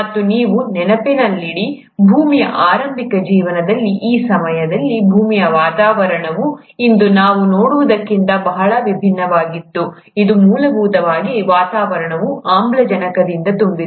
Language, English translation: Kannada, And mind you, at that point of time in the early life of earth, the atmosphere of the earth was very different from what we see of today, which is essentially full of atmospheric oxygen